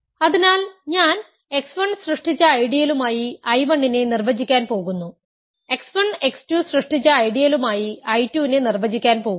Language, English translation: Malayalam, So, I am going to define I 1 to be the ideal generated by x 1, I am going to define I 2 to be the ideal generated by x 1 x 2